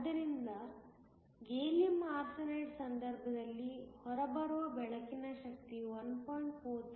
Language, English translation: Kannada, So, in the case of gallium arsenide the energy of the light that comes out will be 1